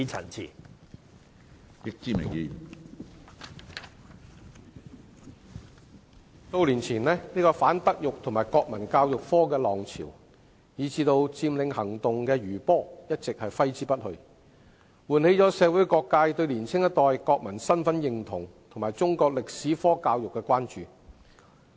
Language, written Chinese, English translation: Cantonese, 主席，數年前反德育及國民教育科的浪潮，以至佔領行動的餘波一直揮之不去，喚起了社會各界對年輕一代國民身份認同及中國歷史科教育的關注。, President the wave against the implementation of the Moral and National Education subject several years ago and the aftermath of the Occupy movement have still affected us today . People from all walks of life have become aware of the national identity issue of the younger generation and the education of Chinese history